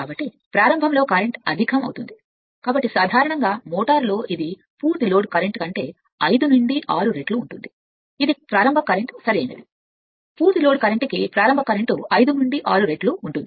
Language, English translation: Telugu, So, generally in a motor you will find this 5 to 6 times the full load current that is the starting current right starting current is 5 to 6 time the full load current